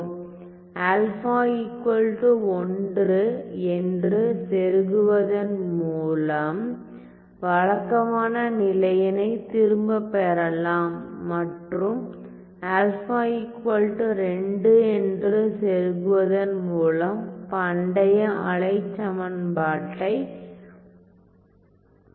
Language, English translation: Tamil, So, I get back the regular case by plugging in alpha equal to 1 and then if I plug alpha equal to 2 I am going to get my classical wave equation my classical wave equation